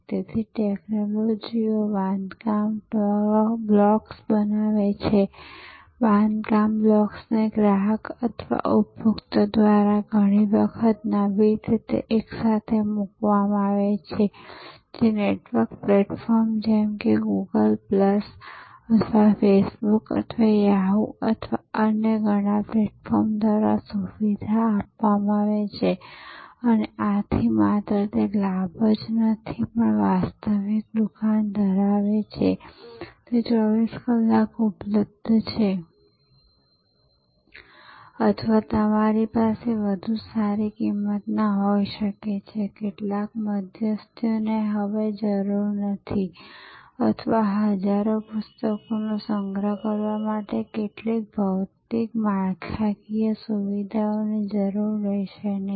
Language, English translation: Gujarati, So, the technologies create building blocks, the building blocks are put together often by the customer or the consumer in innovative ways facilitated by network platforms like Google plus or Face Book or Yahoo or many other platforms and thereby, it is not only the advantage of having a virtual store; that it is available 24 hours or you can have better prices, because some intermediaries are no longer required or some physical infrastructure will no longer be required to store thousands of books